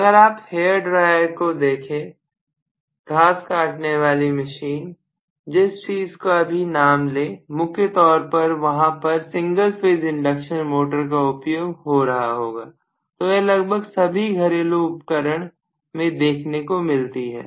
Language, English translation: Hindi, If you look at hair dryer, you look at lawn mower, you name it anything for that matter many of them are single phase induction motor, so this is used in all almost all home appliances, right